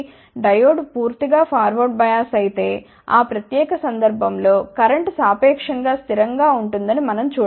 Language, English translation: Telugu, If the diode is completely forward bias, in that particular case we can see that the current will be relatively constant